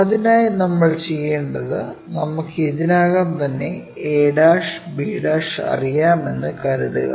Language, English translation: Malayalam, For that what we have to do, let us assume we know already a' b'